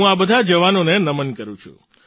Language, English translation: Gujarati, I salute all these jawans